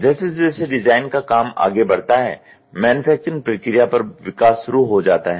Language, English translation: Hindi, As design work progresses, development begins on the manufacturing process